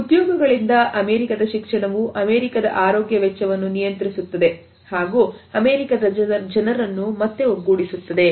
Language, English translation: Kannada, From jobs American education control American health care costs and bring the American people together again